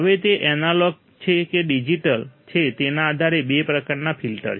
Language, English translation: Gujarati, Now, there are two types of filter based on whether it is analog or whether it is digital